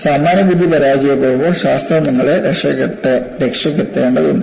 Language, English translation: Malayalam, See, whenever the so called commonsense fails, science has to come to your rescue